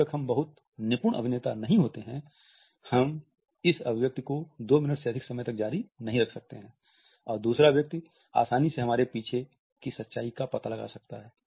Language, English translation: Hindi, Unless and until we are very accomplished actors, we cannot continue this expression for more than two minutes perhaps and the other person can easily find out the truth behind us